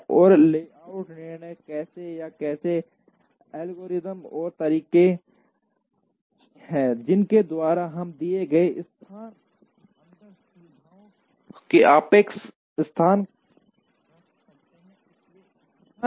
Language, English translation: Hindi, And layout decisions as to how, what are the algorithms and methods by which we can have relative location of facilities inside a given location